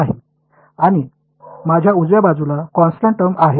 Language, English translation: Marathi, No, and did I have a constant term on the right hand side